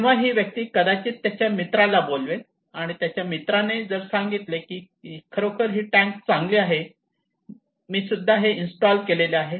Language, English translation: Marathi, So this person may call his friend, and his friend says okay this tank is really good I installed this one okay